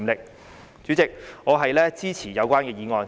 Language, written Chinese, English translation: Cantonese, 代理主席，我支持有關的議案。, Deputy President I support the motion concerned